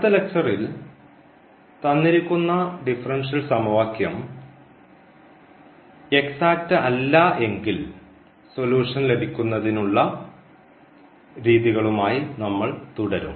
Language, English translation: Malayalam, And in the next lecture we will continue if the given differential equation it not exact then what method we should process to get this solution